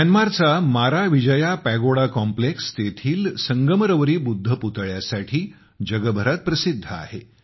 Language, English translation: Marathi, Myanmar’s Maravijaya Pagoda Complex, famous for its Marble Buddha Statue, is world famous